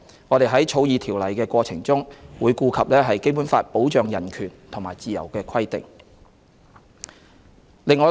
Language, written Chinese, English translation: Cantonese, 我們在草擬《條例草案》的過程中，會顧及《基本法》保障人權和自由的規定。, In the course of drafting the Bill we will take into account the provisions of the Basic Law which protect human rights and freedom